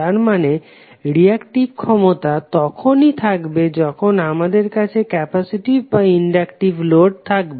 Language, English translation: Bengali, So it means that the reactive power is only visible when we have either capacitive or inductive load available in the circuit